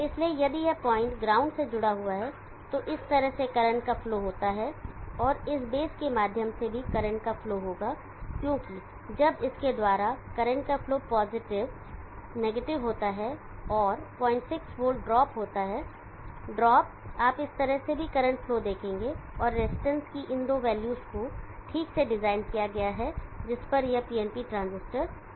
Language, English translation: Hindi, So if this point gets connected to ground there is a flow of current in this fashion and there will also be a flow of current through this base, because when there is a flow of current through this is positive, negative and there is a point 6 volt drop you will see current flow in this fashion also, and these two values of the resistance are properly designed, this PNP transistor go on